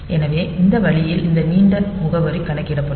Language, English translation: Tamil, So, that way this long address will be calculated